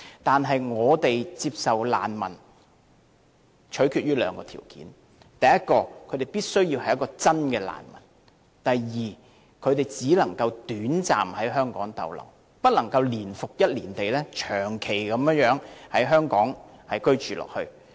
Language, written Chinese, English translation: Cantonese, 但是，我們接收難民須取決於兩個條件，第一，他們必須是真正的難民；第二，他們只能短暫在香港逗留，不能年復一年長期在港居住。, However the decision to receive refugees should be based on two determining factors . Firstly those admitted should be genuine refugees; secondly they are here in Hong Kong only for a short stay and should not be allowed to reside in Hong Kong for a long time year after year